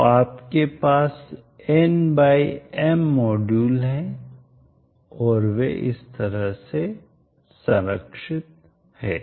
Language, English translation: Hindi, So you have N by M modules and they are protected in this fashion